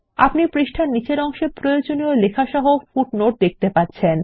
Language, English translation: Bengali, You can see the required footnote along with the text at the bottom of the page